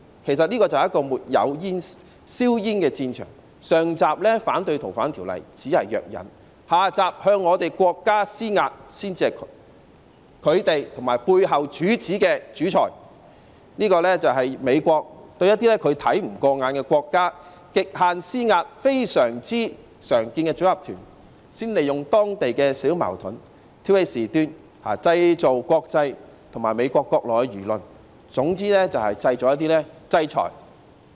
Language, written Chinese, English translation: Cantonese, 其實，這是個沒有硝煙的戰場，上集反對《逃犯條例》修訂只是藥引，下集向國家施壓才是他們和背後主子的主菜，這是美國對一些它看不過眼的國家的極限施壓，非常常見的組合拳，先利用當地小矛盾挑起事端，製造國際和美國國內輿論，總之就是要製造制裁。, In Part One the opposition to the amendment of FOO serves only as the fuse and in Part Two pressurizing the State is the main course to them and the mastermind behind it all . This is a very common package of measures used by the United States to exert the utmost pressure on countries not to its liking . First it takes advantage of some minor conflicts in that place to stir up troubles in a bid to arouse opinions internationally and in the United States purely with the objective of imposing sanctions